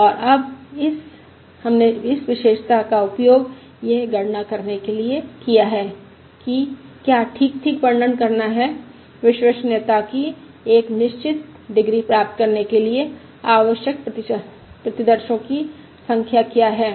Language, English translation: Hindi, And now we have used this property to calculate what is to characterise precisely, what is the number of samples required to achieve a certain degree of reliability